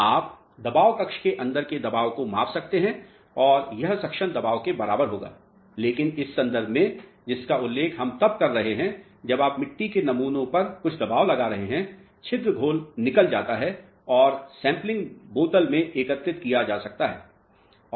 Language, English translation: Hindi, You can measure the inside pressure chamber and that will be equal to the suction pressure, but in this context which we are referring to when you apply certain pressure on the soil samples which are kept here, the pore solution drains out and can be collected in a sampling bottle